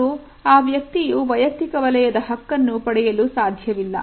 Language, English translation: Kannada, And the person cannot claim private space